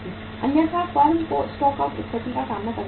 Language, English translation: Hindi, Otherwise, the firm has to face the stock out situation